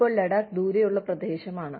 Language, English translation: Malayalam, Now, Ladakh is a far flung area